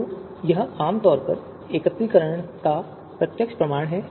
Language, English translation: Hindi, So this is this is typically a direct consequence of aggregation